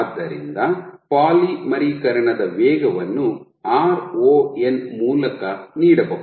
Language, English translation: Kannada, So, the polymerization rate can be given by ron